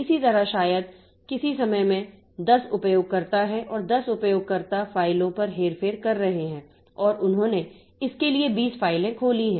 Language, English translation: Hindi, Similarly, maybe at some point of time there are 10 users and 10 users are doing manipulations on files and they have opened say 20 files for manipulation